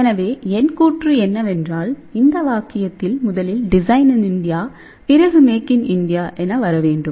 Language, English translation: Tamil, So, my saying is; at this sentence should come before make in India which is design in India, then make in India